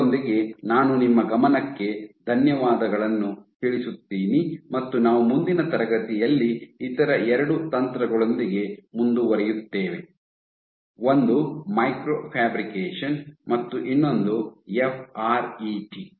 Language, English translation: Kannada, With that I thank you for your attention and we will continue in next class with two other techniques; one is micro fabrication and the other is FRET